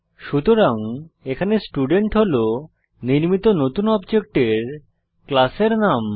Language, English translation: Bengali, So here Student is the name of the class of the new object created